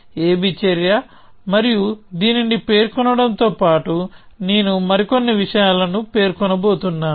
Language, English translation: Telugu, b action, and along with specifying this, I am going to specify the few more things